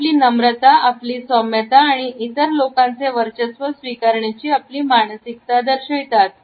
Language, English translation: Marathi, It also shows our submissiveness and our meekness and our willingness to be dominated by other people